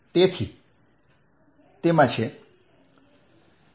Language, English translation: Gujarati, so it's it's